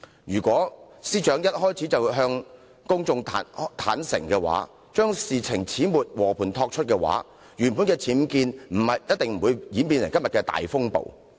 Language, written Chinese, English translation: Cantonese, 如果司長一開始便向公眾坦白，將事情始末和盤托出，原本的僭建事件一定不會演變成今天的大風暴。, If the Secretary for Justice had been honest to the public at the outset and make a clean breast of the matter the UBWs incident would not have escalated into such a big storm today